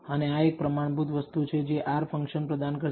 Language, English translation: Gujarati, And this is a standard thing that R function will provide